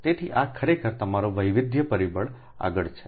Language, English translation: Gujarati, so this is actually your diversity factor